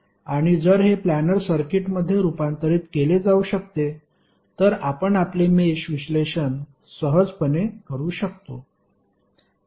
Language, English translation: Marathi, And if it can be converted into planar circuit you can simply run your mesh analysis